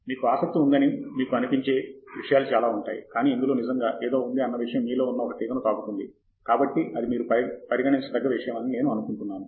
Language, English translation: Telugu, There many things that you might feel that you are interested in, but there is something that really strikes a chord with you, so then that is something that you pickup